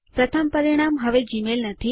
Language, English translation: Gujarati, The top result is no longer gmail